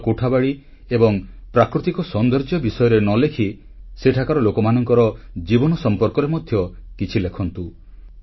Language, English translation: Odia, Write not only about architecture or natural beauty but write something about their daily life too